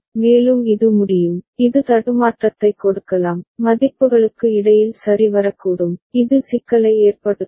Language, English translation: Tamil, And also it can, it can give glitch, in between values may come up ok, which can cause problem